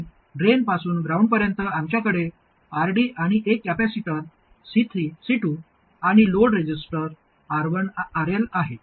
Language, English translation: Marathi, And from the drain to ground, we have RD, the capacitor C2 and the load register RL